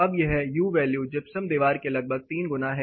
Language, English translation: Hindi, Now, this U value is more or less three times of the gypsum wall